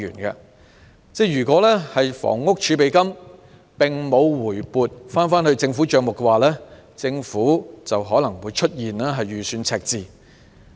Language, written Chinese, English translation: Cantonese, 如果房屋儲備金並無回撥政府帳目的話，政府就可能會出現預算赤字。, If the Housing Reserve has not been brought back to the government accounts the Government may have a budget deficit